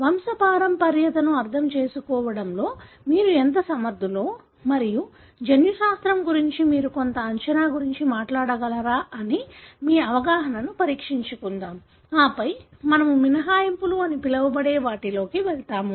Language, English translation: Telugu, Let’s test your understanding as to how good you are in understanding the pedigree and whether you will be able to talk about some prediction with regard to the genetics, and then we will move into what is called as exceptions